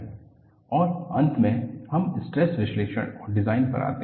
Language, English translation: Hindi, And, finally we come to stress analysis and design